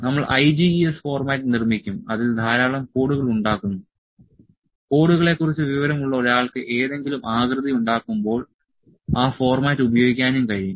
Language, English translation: Malayalam, We can we will produce IGES format would produce a lot to lot of codes lot of codes can we produce one who has the information of the codes can also use those that format when produce shape